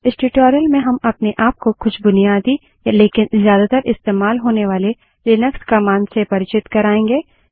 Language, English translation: Hindi, In this tutorial we will make ourselves acquainted with some of the most basic yet heavily used commands of Linux